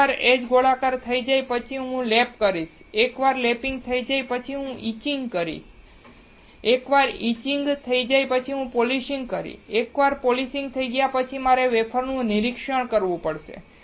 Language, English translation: Gujarati, Once, the edge rounding is done, I will perform the lapping, once the lapping is done I will perform the etching, once the etching is done I will perform the polishing, once the polishing is done I have to inspect the wafer